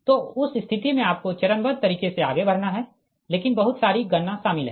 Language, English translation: Hindi, so in that case, what you call that, just step by step you have to move but lot of computation is involved